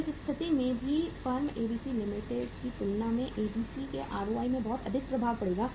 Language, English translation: Hindi, So in this situation also there will be a much higher impact on the ROI of the firm ABC as compared to the firm XYZ Limited